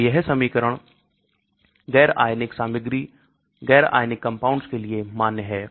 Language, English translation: Hindi, So this equation is valid for un ionized material , un ionised compounds